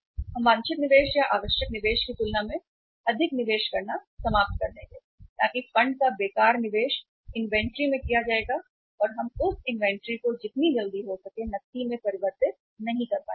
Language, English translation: Hindi, We will end up making more investment than the desired investment or required investment so wasteful investment of the funds will be made in the inventory and we will not be able to convert that inventory into cash as quickly as possible